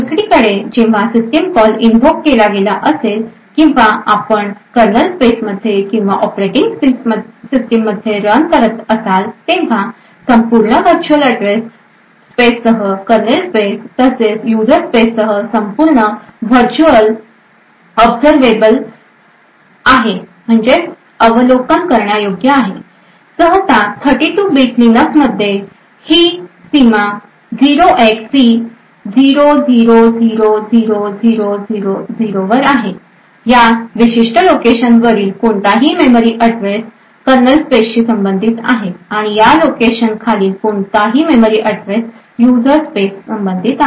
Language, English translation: Marathi, On the other hand when a system call is invoked or you are running in the kernel space or in the operating system the entire virtual address space including that of the kernel space plus that of the user space is observable, typically in a 32 bit Linux kernel this boundary is present at a location 0xC0000000, any memory address above this particular location corresponds to a kernel space and any memory address below this location corresponds to that of a user space